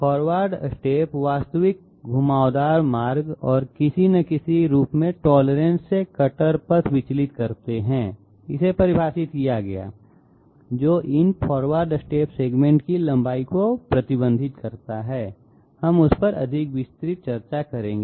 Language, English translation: Hindi, Forward steps make the cutter path deviate from the actual path actual curved path and some form tolerances defined which restricts the length of these forward step segments, we will have more detailed discussion on that